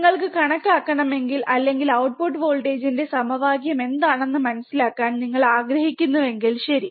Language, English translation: Malayalam, And if you want to calculate, or if you want to understand what was the equation of the output voltage, right